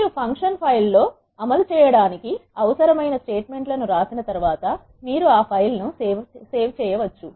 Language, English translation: Telugu, Once you have written the R statements that are needed to be executed in a function file, you can save that file